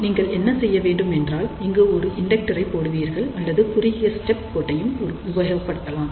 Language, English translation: Tamil, So, all you do it is just put an inductor over here or you can use shorted stub line also